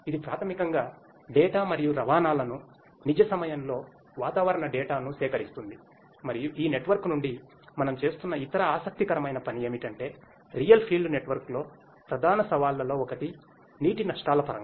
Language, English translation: Telugu, This also basically collects the data and transports in the real time the weather data and from this network the other interesting work which we are doing is because one of the major challenges in the real field network is in terms of water losses